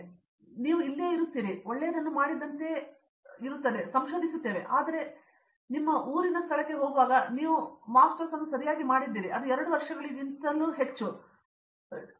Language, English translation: Kannada, But you will be still here, I may like we are doing a, in a research kind of stuff it is good like we done a good stuff, but then going back to my home place there will like okay you just did Masters right, it’s more than 2 years are you did you fail or something